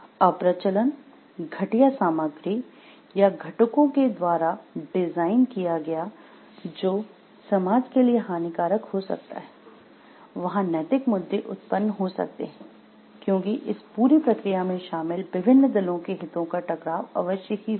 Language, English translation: Hindi, Designed for whether it is designed for obsolescence, inferior materials or components, unforeseen harmful effects to the society or not are some of the areas situations where ethical issues may arise because there will be conflict of interest of various parties involved in this whole process